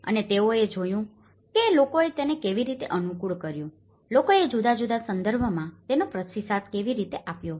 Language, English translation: Gujarati, And they have looked at how people have adapted to it, how people have responded to it in different context